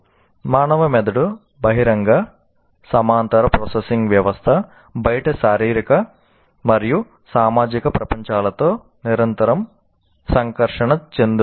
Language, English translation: Telugu, And the human brain is an open parallel processing system continually interacting with physical and social worlds outside